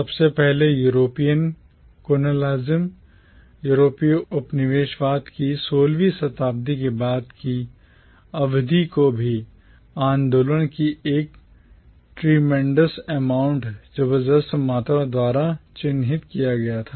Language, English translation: Hindi, Firstly, the post 16th century period of European colonialism was also marked by a tremendous amount of human movement